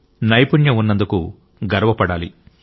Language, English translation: Telugu, We should be proud to be skilled